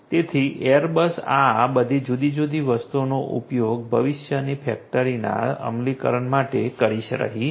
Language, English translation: Gujarati, So, Airbus is using all of these different things a for it is implementation of factory of the future